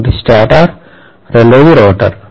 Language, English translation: Telugu, One is a stator, the other one is a rotor